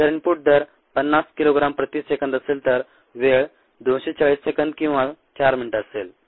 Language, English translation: Marathi, if the input rate is fifty kilogram per second, the time would be two forty seconds or four minutes